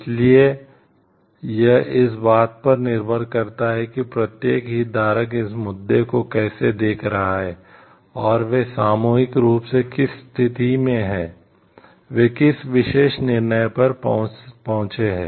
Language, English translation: Hindi, So, it depends on how the each of the stakeholders like and looking at the issue and collectively what they arrive at, what particular decision that they arrived at